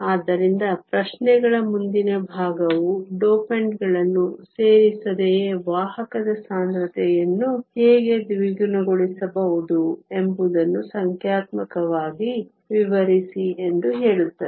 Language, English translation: Kannada, So, the next part of the questions says explain numerically how the carrier concentration can be doubled without adding dopants